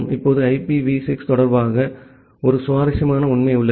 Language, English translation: Tamil, Now, there is a interesting fact regarding IPv6